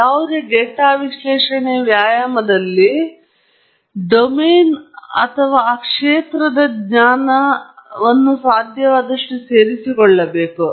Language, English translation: Kannada, In any data analysis exercise, we should incorporate the domain and prior knowledge as much as possible